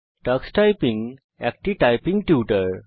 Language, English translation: Bengali, Tux Typing is a typing tutor